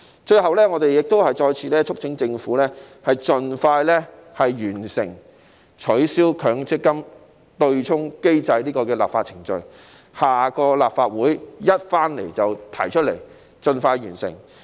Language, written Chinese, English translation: Cantonese, 最後，我們再次促請政府盡快完成取消強積金對沖機制的立法程序，下屆立法會開始時便立即提交法案，盡快完成。, Lastly we once again urge the Government to complete expeditiously the legislative process of abolishing the MPF offsetting mechanism and present the bill once the next term of the Legislative Council begins so that it can be accomplished as soon as possible